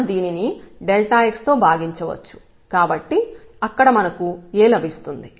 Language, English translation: Telugu, So, we can divide by this delta x so, we will get A there